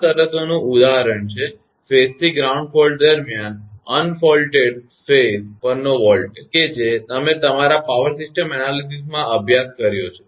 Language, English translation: Gujarati, Example of these conditions are; voltages on the unfaulted phases during a phase to ground fault; that you have studied in your power system analysis